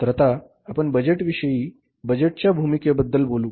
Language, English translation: Marathi, So now here we talk about the budgets